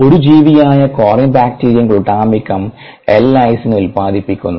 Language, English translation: Malayalam, corynebacterium glutamicum, which is an organism this produces a lysine